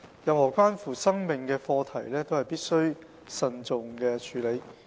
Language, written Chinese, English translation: Cantonese, 任何關乎生命的課題都必須慎重處理。, Any subject matters concerning life must be dealt with care